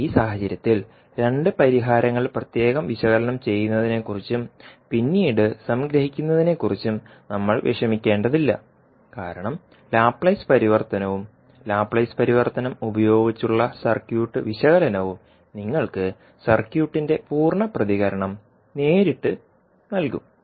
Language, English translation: Malayalam, But in this case we need not to worry about having two solutions analyze separately and then summing up because the Laplace transform and the circuit analysis using Laplace transform will directly give you the complete response of the circuit